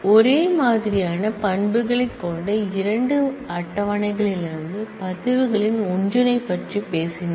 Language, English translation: Tamil, We talked about union of records from 2 tables having identical set of attributes